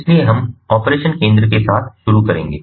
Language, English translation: Hindi, so we will start with ah, the ah, the operation center, ah